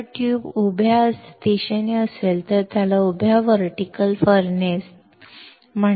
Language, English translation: Marathi, If tube is in vertical direction, vertical tube furnace